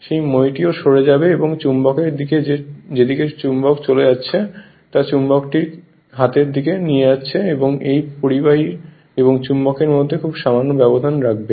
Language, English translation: Bengali, That that ladder also will move and the direction of the your what you call in the direction of the magnet as magnet is moving you are moving the magnet to the right hand side and keep a a very little gap between this between this conductor and the magnet